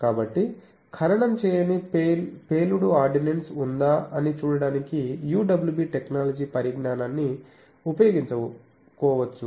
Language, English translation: Telugu, So, UWB technology can be utilized for seeing whether there is any buried unexploded ordinance